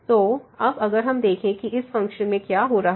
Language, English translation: Hindi, So now, if you realize what is happening to this function now here